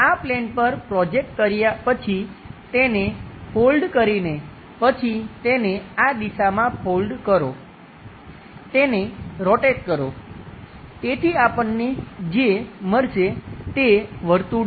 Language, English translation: Gujarati, By folding it after projecting on to project onto this plane, then fold it in this direction, rotate it so that the view what we will get is circle